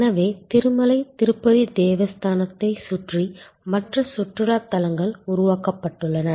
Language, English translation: Tamil, So, there are other tourist attractions created around Tirumala Tirupati Devasthanam